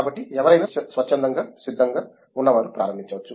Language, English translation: Telugu, So, anyone who is willing to volunteer can get started